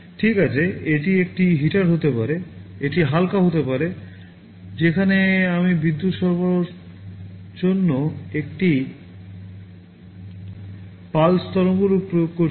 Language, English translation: Bengali, Well, it can be a heater; it can be light, where I am applying a pulse waveform to provide with the power supply